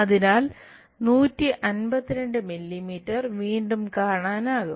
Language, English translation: Malayalam, So, 152 mm again we will see